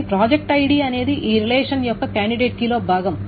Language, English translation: Telugu, But the project ID is something that is also part of the candidate key of this relationship